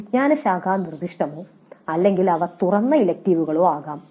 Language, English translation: Malayalam, So the electives may be discipline specific or they may be open electives